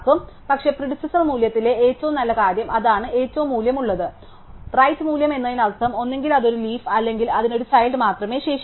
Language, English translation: Malayalam, But, the good thing of at the predecessor value is that is the right most valued, right most value means either it is a leaf or it has only left child